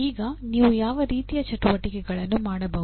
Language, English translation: Kannada, Now what are type of activities you can do